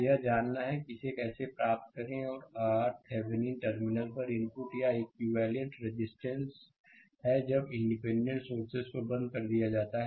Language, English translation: Hindi, We have to know how to obtain it and R Thevenin is input or equivalent resistance at the terminal when the independent sources are turned off right